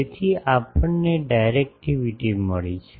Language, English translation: Gujarati, So, we have found out the directivity